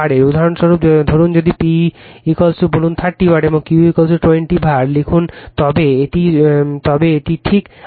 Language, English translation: Bengali, For example, suppose if you write P is equal to say 30 watt and Q is equal to your 20 var right, it is ok